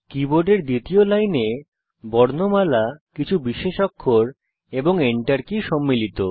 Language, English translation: Bengali, The second line of the keyboard comprises alphabets few special characters, and the Enter key